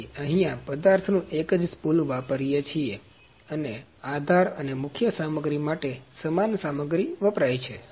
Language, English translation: Gujarati, So, here as we are using single spool the same material is being used as support and main material